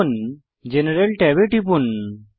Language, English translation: Bengali, Now, click the General tab